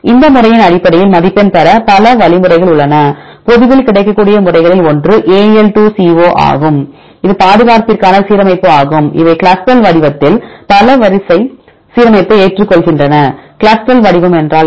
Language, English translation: Tamil, And we have several algorithms available to get the score based on all these method methods for example one of the publicly available method is AL2CO that is alignment to conservation these accepts the multiple sequence alignment in CLUSTAL format; what is CLUSTAL format